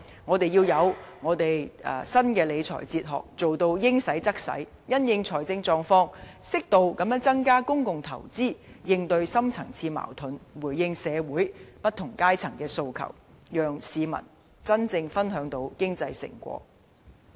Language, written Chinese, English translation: Cantonese, 我們要有新的理財哲學，把錢用於刀口上，因應財政狀況，適度增加公共投資，應對深層次矛盾，回應社會不同階層的訴求，讓市民真正分享到經濟成果。, We need a new philosophy for fiscal management and to spend the money where it is due . Depending on our fiscal conditions it is also necessary to increase public investment properly to deal with our deep - rooted problems in response to the aspirations of different sectors in society so that the people can truly share the fruits of economic development